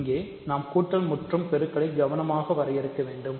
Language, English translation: Tamil, So, here we have to define addition multiplication carefully